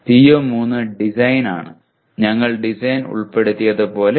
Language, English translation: Malayalam, PO3 is design; as we included design that is natural